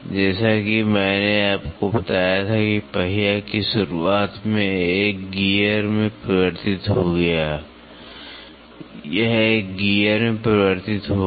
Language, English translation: Hindi, As, I told you in the beginning of wheel got converted into a gear, it got converted into a gear